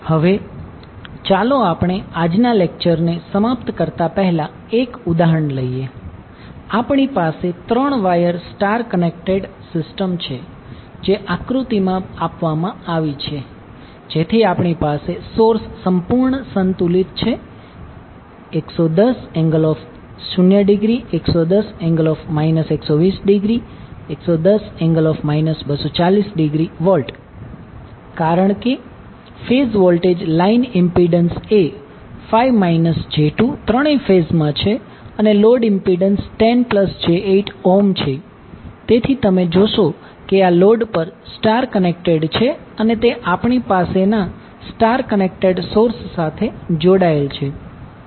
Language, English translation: Gujarati, Now let us take one example before closing our today’s we have three wire star star connected system which is given in the figure so we have source completely balanced 110 angle 0 degree 110 minus 120, 110 minus 240 degree volt as the phase voltages line impedance is five angle five minus J2 in all the three phases and load impedance is 10 plus J8 ohm, so you will see that this load is also star connected and it is connected to the start connected source we have we are not connecting the neutral because system is balanced